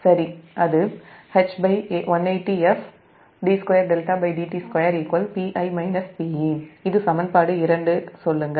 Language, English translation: Tamil, this is equation